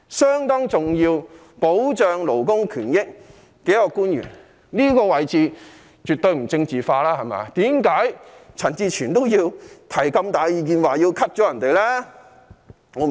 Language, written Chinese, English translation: Cantonese, 他是保障勞工權益方面相當重要的官員，這個位置絕對不政治化，為何陳志全議員仍要提出削減其開支？, He is a government official of considerable importance in protecting labour rights and benefits . This is definitely not a political position . Why would Mr CHAN Chi - chuen still propose to cut the expenditure?